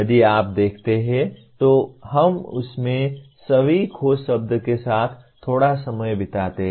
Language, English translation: Hindi, If you look at, let us spend a little time with all the keywords in that